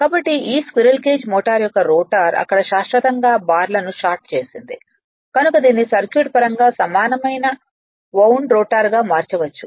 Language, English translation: Telugu, So, the rotor of this squirrel cage motor had permanently shorted bars there so this can be replaced from a your what you call circuit point of view by an equivalent wound rotor